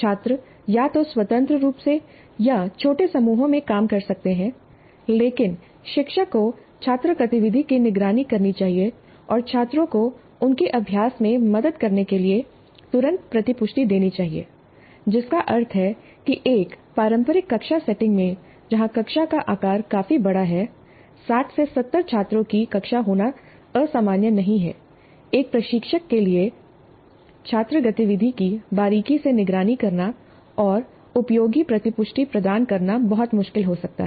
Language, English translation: Hindi, Students could work either independently or in small groups, but teacher must monitor the student activity and provide feedback immediately to help the students in their practice, which means that in a traditional classroom setting where the classroom size is fairly large, it's not unusual to have a class of 60, 70 students, for one instructor to closely monitor the student activity and provide useful feedback may be very difficult